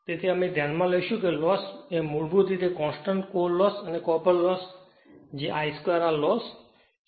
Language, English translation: Gujarati, So, we will consider that these loss is very basically constant core loss right and copper loss that is I square R loss right